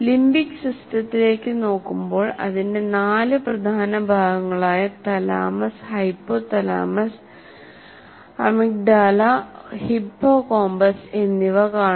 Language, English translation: Malayalam, The four major parts of the limbic system are thalamus, hypothalamus, hippocampus, and amygdala